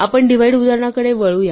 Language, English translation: Marathi, So, let us get back to the divides example